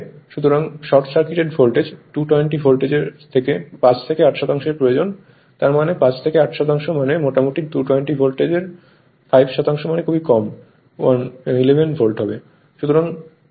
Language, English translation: Bengali, So, short circuit voltage you need 5 to 8 percent of 220 Volt; that means, your 5 to 8 percent means roughly your 5 percent of 220 Volt means hardly 11 volt